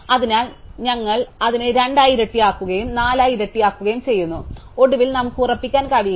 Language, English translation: Malayalam, So, therefore, we start with a component to size 1, then we double it to 2 and we double it to 4 and eventually we cannot go past n